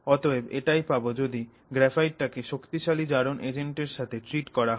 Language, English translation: Bengali, And so this is what you will get by treating graphite with strong oxidizing agents